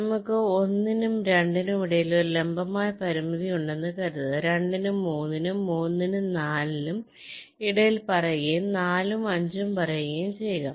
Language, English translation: Malayalam, suppose we have a vertical constraint between one and two, say between two and three, three and four and say four and five